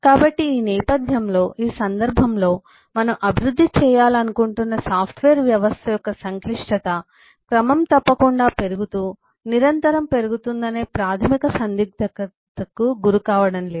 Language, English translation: Telugu, so in this context, eh, in this background, eh we are not posed with eh fundamental dilemma that the complexity of the software system that eh we want to develop is regularly increasing, constantly increasing, and but all one limitations are fixed